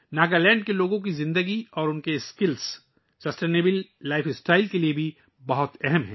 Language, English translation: Urdu, The life of the people of Nagaland and their skills are also very important for a sustainable life style